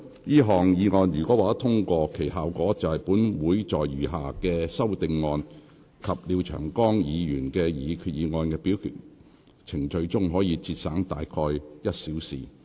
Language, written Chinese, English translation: Cantonese, 這項議案如獲得通過，其效果是本會在餘下修訂議案及廖長江議員的擬議決議案的表決程序中，可節省約1小時。, If this motion is passed it will save about an hour in the voting procedure for the remaining amending motions and the proposed resolution of Mr Martin LIAO